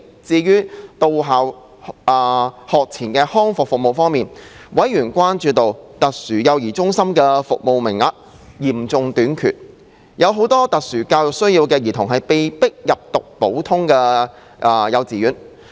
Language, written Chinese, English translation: Cantonese, 至於在到校學前康復服務方面，委員關注到，特殊幼兒中心的服務名額嚴重短缺，很多有特殊教育需要的兒童被迫入讀普通幼稚園。, As to the on - site pre - school rehabilitation services members were concerned that due to serious shortage of places in special child care centres many children with special educational needs had no alternative but to study at ordinary kindergartens